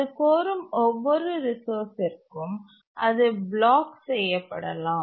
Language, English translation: Tamil, So, for each of the resources it requests, it may undergo blocking